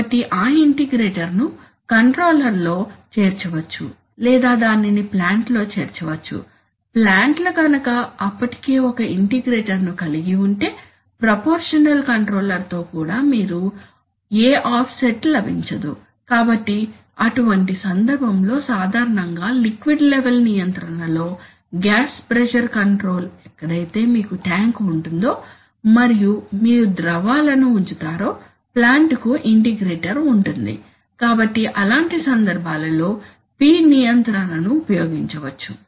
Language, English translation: Telugu, So that integrator can be included either in the controller or it can be included in the plant, so if the plant already includes an integrator then even with a proportional controller you will not get any offset, so in such a case typically in liquid level control, gas pressure control, where you have a tank, and you are putting in fluids you, the plant has an integrator, so in such cases a P control can be used